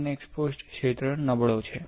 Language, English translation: Gujarati, So, the unexposed region is weaker